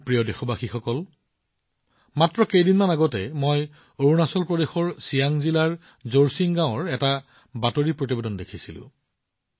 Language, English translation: Assamese, My dear countrymen, just a few days ago, I saw news from Jorsing village in Siang district of Arunachal Pradesh